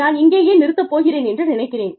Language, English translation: Tamil, I think, I am going to stop here